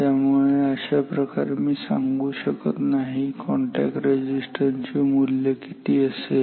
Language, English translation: Marathi, So, this way I cannot say what is I mean the value of this resistance